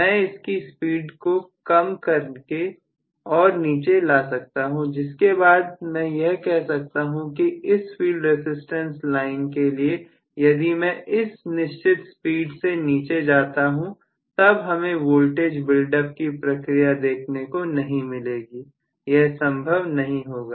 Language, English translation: Hindi, I can bring down the speed further and further and I should be able to say for this field resistance line if I go below this particular speed, I will not get really voltage build up process possible